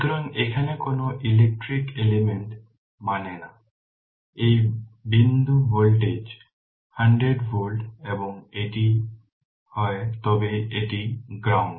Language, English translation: Bengali, So, no electrical element here means, this point voltage is 100 volt and if I say it is it is grounded